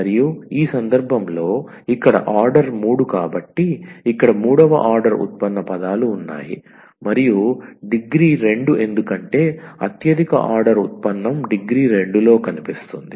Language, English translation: Telugu, And in this case here the order is 3 so because third order derivative terms are there and the degree is 2, because the highest order derivative appears in degree 2